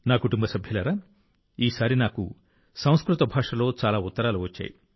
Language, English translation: Telugu, My family members, this time I have received many letters in Sanskrit language